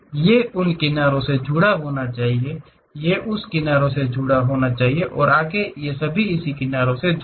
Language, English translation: Hindi, These supposed to be connected by those edges, these connected by that edges and further